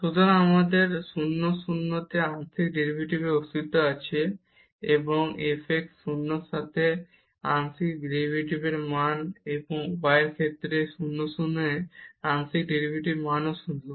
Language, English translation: Bengali, So, we have the existence of the partial derivatives at 0 0, and the value of the partial derivative with respect to f x 0 and also the value of the partial derivative at 0 0 with respect to y is also 0